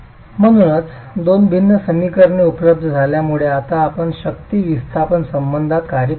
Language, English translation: Marathi, So with the two differential equations available we can now proceed to work towards a forced displacement relationship